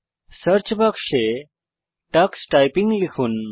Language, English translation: Bengali, In the Search box, type Tux Typing